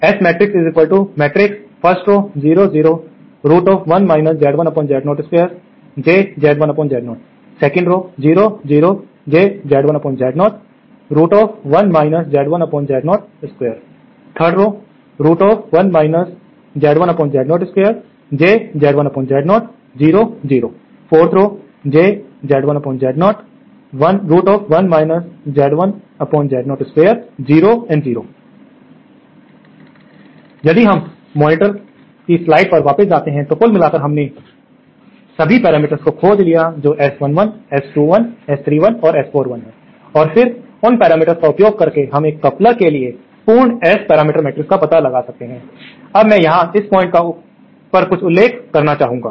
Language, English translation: Hindi, So, if we go back to the slides on the monitor, so the overall, so we have found out all the parameters that is S11, S 21, S 31 and S 41 and then using those parameters, we can find out the complete S parameter matrix of a coupler, now I would like to mention something here at this point